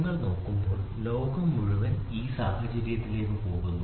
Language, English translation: Malayalam, So, when you look at it the entire world goes into this scenario